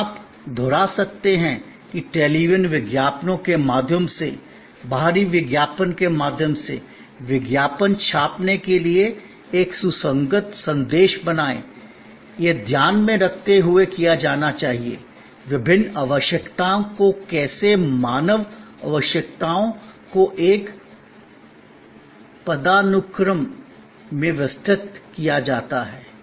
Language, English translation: Hindi, And you can repeat that through television ads, through outdoor advertising, to print ads; create a consistent message this is to be done keeping in mind, the various needs how the human needs are arranged in a hierarchy